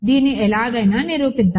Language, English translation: Telugu, So, let us anyway prove this